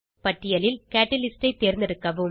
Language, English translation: Tamil, Select Catalyst from the list